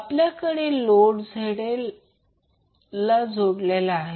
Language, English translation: Marathi, We have a load ZL is connected